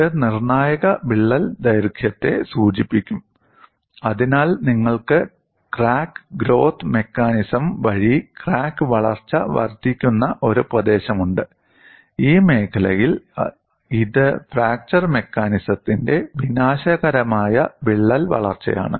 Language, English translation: Malayalam, You get the critical crack length from that graph this will denote the critical crack length, so you have a region where it is incremental crack growth by crack growth mechanism, and in this zone it is catastrophic crack growth by fracture mechanism